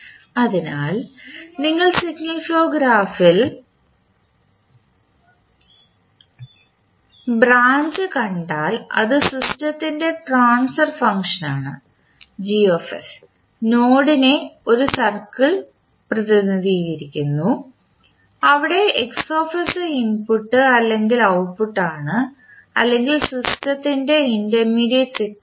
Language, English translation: Malayalam, So, if you see the branch if you see in the signal flow graph the Gs is a transfer function of the system and node is represented by a circle where Xs is the signal that can be either input output or the intermediate signal of the system